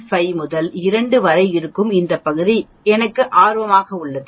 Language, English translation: Tamil, 5 and 2 is what I am interested in